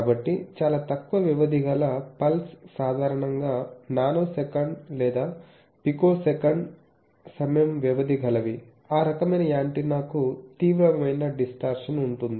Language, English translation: Telugu, So a pure pulse of very short duration typically of nanosecond or picosecond duration on time that cannot be passed through and that type of antenna it will have severe distortion